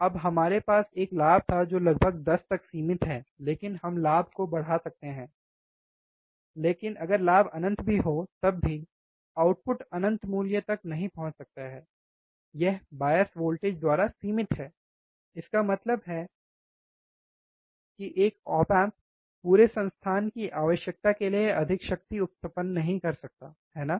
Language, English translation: Hindi, Now we had a gain which is limited about 10, but we can always increase the gain, even there is infinite gain, the output cannot reach to infinite value, but it is limited by the bias voltage; that means, that one op amp cannot run the whole power or cannot generate much power that whole institute requires, right